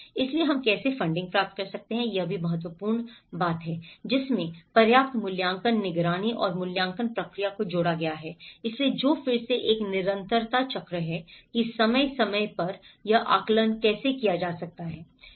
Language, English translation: Hindi, So, how we can generate funding is also important term, having added adequate assessment monitoring and evaluation procedure, so which goes back again to have a continuity cycle of how periodically one can assess this